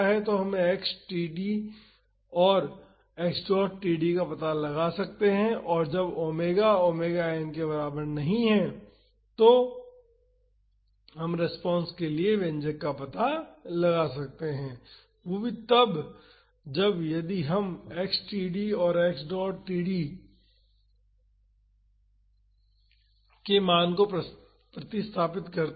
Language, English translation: Hindi, So, we can find out x td and x dot td and we can find out the expression for the response when omega not equal to omega n, that is if we substitute the value of x td and x dot td